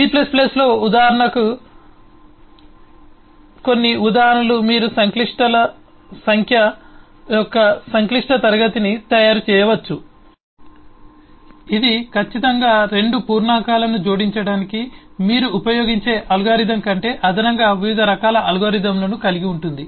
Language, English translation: Telugu, these are called udts and these are some examples of udts: eh, for example, in c plus plus, you can make a complex eh class, eh of complex numbers, which will certainly have different kind of a algorithms for addition than the algorithm you use for adding 2 integers